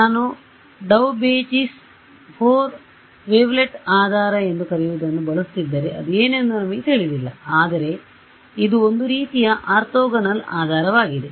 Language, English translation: Kannada, If I keep I use what is called a Daubechies 4 wavelet basis we need not know what it is, but it is some kind of an orthogonal basis